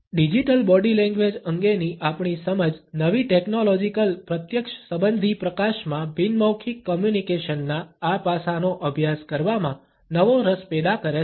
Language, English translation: Gujarati, Our understanding of Digital Body Language has generated a renewed interest in studying this aspect of nonverbal communication in the light of new technological immediacy